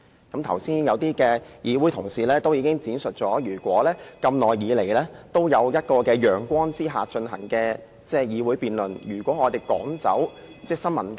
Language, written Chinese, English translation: Cantonese, 剛才有些同事已經闡述，議會長久以來都在陽光之下進行辯論，如果我們趕走新聞界，......, Just now some Honourable colleagues stated that this Council has been having debates under the sun over a long time . If members of the press are ordered to withdraw